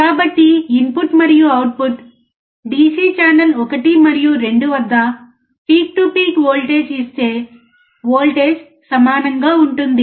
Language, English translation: Telugu, So, if you see the peak to peak voltage at the input and output DC channel 1 and 2, voltage is same